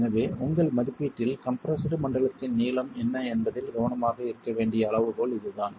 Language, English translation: Tamil, So, this is a criterion where one has to be careful about what is the length of the compressed zone in your estimate